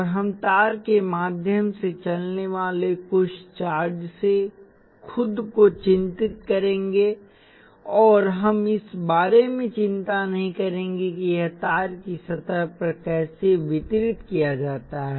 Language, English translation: Hindi, And we will concern ourselves with the total charge that is moving through wire and we would not worry about exactly how it is distributed across the surface of the wire